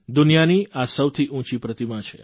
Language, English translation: Gujarati, It is the tallest statue in the world